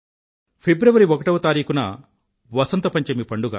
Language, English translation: Telugu, 1st February is the festival of Vasant Panchami